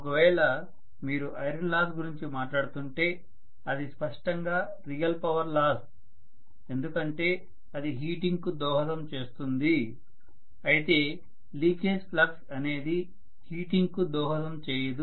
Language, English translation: Telugu, Whereas if you are talking about iron loss that is clearly real power loss because it will contribute to heating whereas leakage flux is not going to contribute towards heating, it will only go into voltage drop